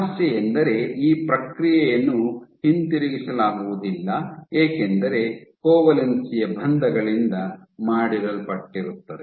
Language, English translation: Kannada, The problem is this process is not reversible because covalent bonds are made